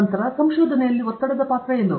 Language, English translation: Kannada, Then, what is the role of stress in research